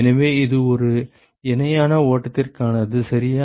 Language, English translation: Tamil, So, this is for a parallel flow ok